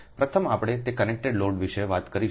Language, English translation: Gujarati, so first is we talk about that connected load